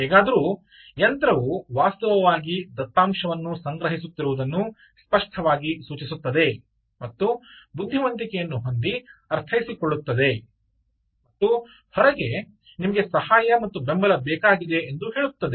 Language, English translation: Kannada, anyway, all of this clearly indicates that a machine was actually collecting data, interpreting, understanding, having intelligence and calling out, ah, you know, help and support